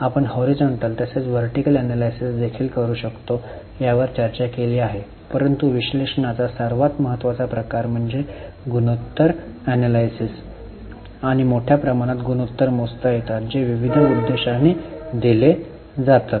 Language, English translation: Marathi, We have also discussed that we can do horizontal as well as vertical analysis but the most important type of analysis is ratio analysis and large number of ratios can be calculated serving variety of purposes